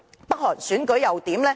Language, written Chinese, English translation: Cantonese, 北韓選舉又如何？, How does North Korea run its election?